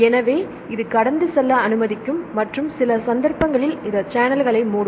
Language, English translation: Tamil, So, it will allow passing through and some cases it will close the channels